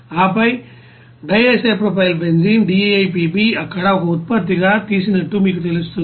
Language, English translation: Telugu, And then DIPB would be you know taken out as a product there